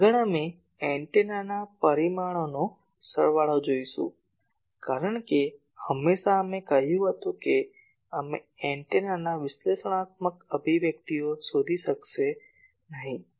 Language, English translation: Gujarati, Next, we will see the sum of the antenna parameters because always we said that we would not be able to find out the analytical expressions of the antenna